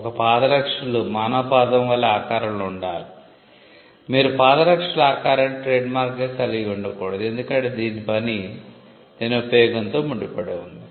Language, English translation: Telugu, A footwear has to be shaped like the human foot you cannot have the shape of a footwear as a trademark, because it is function is tied to it is use